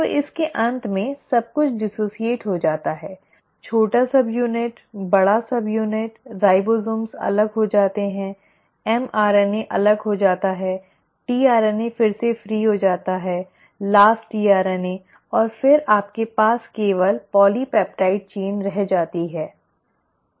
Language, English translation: Hindi, So at the end of it everything gets dissociated, the small subunit, the large subunit, the ribosomes come apart, the mRNA comes apart, the tRNA becomes free again, the last tRNA and then you are left with just the polypeptide chain